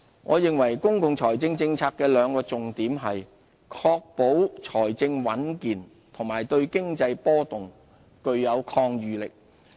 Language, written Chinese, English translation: Cantonese, 我認為公共財政政策的兩個重點是：確保財政穩健及對經濟波動具有抗禦能力。, I believe that the two objectives of our fiscal policy are maintaining healthy public finances and strengthening resilience to withstand economic fluctuations